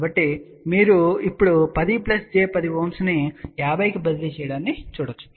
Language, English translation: Telugu, So, you can see now 10 plus j 10 Ohm has been transferred to 50 Ohm